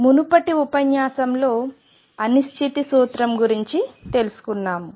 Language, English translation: Telugu, In the previous lecture we have learned about uncertainty principle